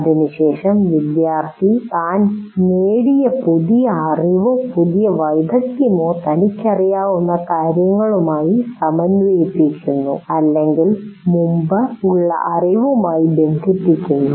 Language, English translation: Malayalam, And then having done that, the student integrates the new knowledge or new skill that he has acquired with what he already knows